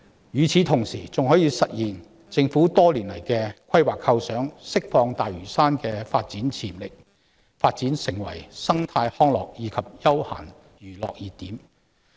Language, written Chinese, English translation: Cantonese, 與此同時，"明日大嶼願景"還可以實現政府多年來的規劃構想，釋放大嶼山的發展潛力，讓其成為生態康樂及休閒娛樂熱點。, Meanwhile the Lantau Tomorrow Vision can also materialize the long - standing planning and vision of the Government to unleash the development potential of Lantau Island so that it can become a hotspot for ecotourism recreation leisure and entertainment